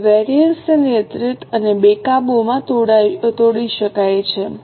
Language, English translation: Gujarati, Now, the variances can be broken into controllable and uncontrollable